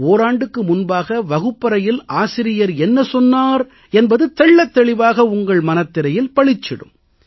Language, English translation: Tamil, A year ago, what the teacher had taught in the classroom, the whole scenario reappears in front of you